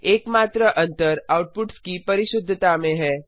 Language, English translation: Hindi, The only difference is in the precisions of outputs